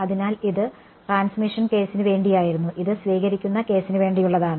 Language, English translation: Malayalam, So, this was for the transmission case and this is for the receiving case